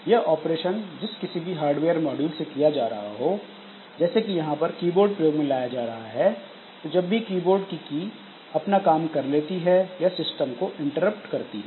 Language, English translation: Hindi, So, whichever hardware module is doing this operation, for example, if it is done by the keyboard, then when the keyboard keys are pressed, so it sends an interrupt to the system